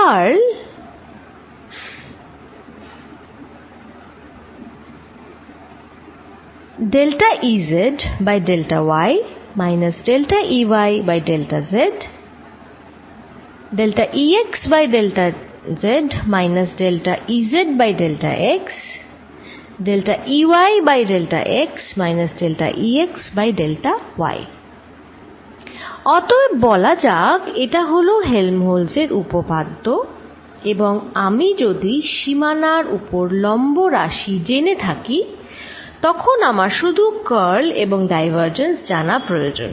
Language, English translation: Bengali, So, let us this is Helmholtz's theorem and if I know the perpendicular component on the boundary, then I need to know only curl and the divergence